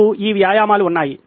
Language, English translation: Telugu, We have these exercises